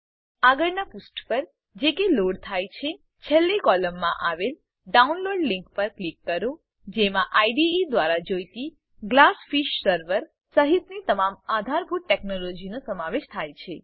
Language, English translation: Gujarati, On the next page which loads, click on the download link in the last column which includes the download of all the supported technologies that is required by the IDE including the Glassfish Server